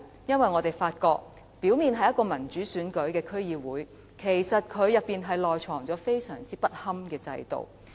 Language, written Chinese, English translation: Cantonese, 因為我們發現這個表面上由民主選舉產生的區議會，內藏着相當不堪的制度。, We discover that though DCs are composed of members returned by democratic elections on the surface an extremely poor system is hidden in this